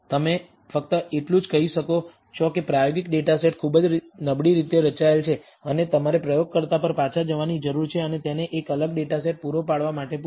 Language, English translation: Gujarati, All you can say is that the experimental data set is very poorly designed, and you need to get back to the experimenter and ask him to provide a different data set